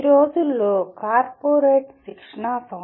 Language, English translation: Telugu, And there is a tremendous amount of corporate training these days